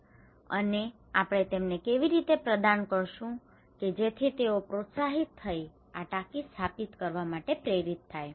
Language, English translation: Gujarati, And how we should provide to them, so that they would be motivated, encourage to install these tanks